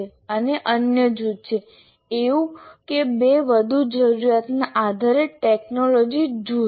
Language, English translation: Gujarati, And the other group, it can be one or two more depending on the requirement, the technology group